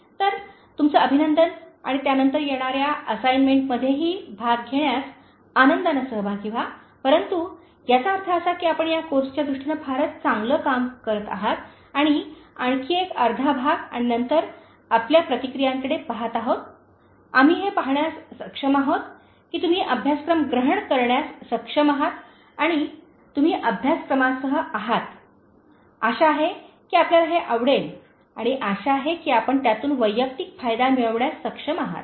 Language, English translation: Marathi, So, congratulations to you and then happy participation in the coming assignment also, but this means that you have been doing a great deal in terms of this course and just another half and then looking at your responses, we are able to see that you are able to grasp the course and you are with the course, hope you are liking it and hope you are able to gain personal benefit out of it